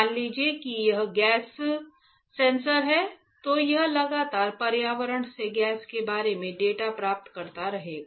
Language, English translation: Hindi, Suppose it is gas sensor, it will constantly get the data about the gas from the environment